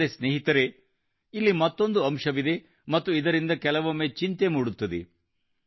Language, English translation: Kannada, But friends, there is another aspect to it and it also sometimes causes concern